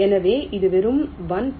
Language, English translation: Tamil, so this is the first one